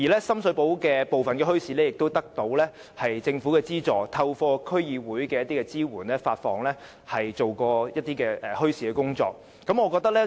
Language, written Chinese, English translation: Cantonese, 深水埗部分墟市亦得到政府資助，並透過區議會支援，進行一些與墟市有關的工作。, Some bazaars in Sham Shui Po have obtained subsidies from the Government and DC also provides support for the relevant work